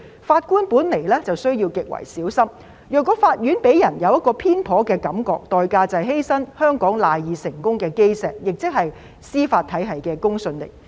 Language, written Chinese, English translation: Cantonese, 法官本來便需要極為小心，如果法院令人有偏頗的感覺，代價便是犧牲香港賴以成功的基石，亦即司法體系的公信力。, Judges need to be extremely careful in the first place . If the courts are perceived to be partial the price will be to sacrifice the cornerstone of Hong Kongs success namely the credibility of the judicial system